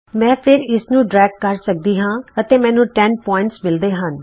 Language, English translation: Punjabi, I can again drag this and I get 10 points here